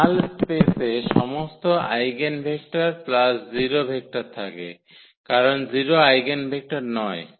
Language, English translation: Bengali, In the null space carries all the eigenvectors plus the 0 vector because the 0 is not the eigenvector